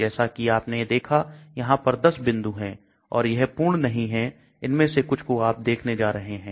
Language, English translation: Hindi, There are 10 points which you saw and it is not complete you are going to see some of them